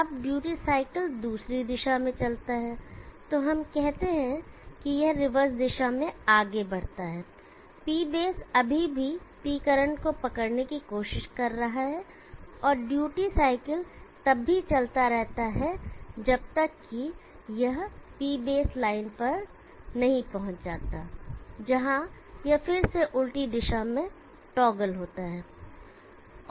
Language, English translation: Hindi, Now the duty cycle moves in the other direction, so let us say it moves in the reverse direction, P base is still trying to catch up with P current, and the duty cycle is continuous to move till it reaches P base line were it again toggles reverses direction